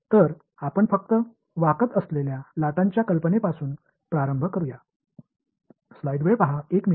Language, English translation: Marathi, So, let us just start with the idea of waves that are bending right